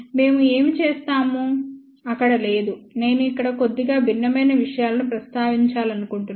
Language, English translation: Telugu, Not there what we had done, I just want to mention slightly things that different over here